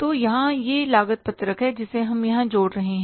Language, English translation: Hindi, So here it is the cost sheet which we are adding here